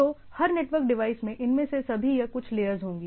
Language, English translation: Hindi, So, every network device will have all or some of this layers right